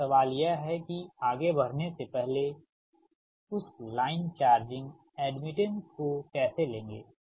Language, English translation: Hindi, now, question is that, before proceeding that, how will take that line, charging admittance